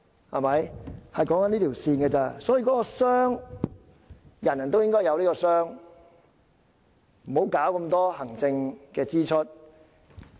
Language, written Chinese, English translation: Cantonese, 我們討論的只是這條線，人人都應該有這個箱子，別搞這麼多行政支出。, Our discussion is just about this line . Everyone should have this box . Please do not incur so much administrative expenditure